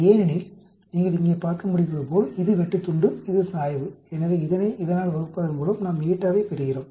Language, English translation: Tamil, Because see as you can see here, this intercept this the slope, so divide this by that we end up getting the eta